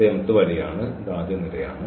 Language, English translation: Malayalam, So, this is the mth mth row this is the first row